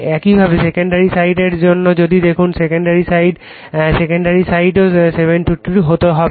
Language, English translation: Bengali, Similarly, for the your secondary side if you look * your second side, the secondary side also has to be 72